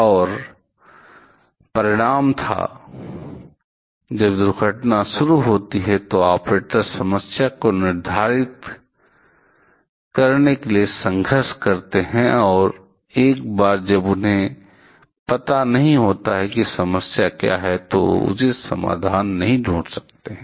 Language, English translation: Hindi, And the result was; the when the accident starts the operators struggled to determine the problem and once they do not know what the problem is, they cannot find an appropriate solution as well